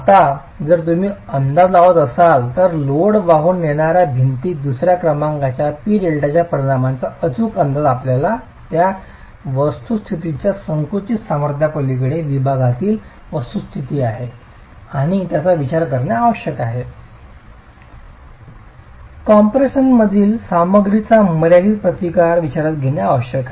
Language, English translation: Marathi, Now if you were to make an estimate, an accurate estimate of the effect of second order P delta in the load carrying wall, you need to consider the fact that beyond the compressive strength of the material you are going to have plastication of the section and that needs to be considered, a finite resistance of the material in compression needs to be considered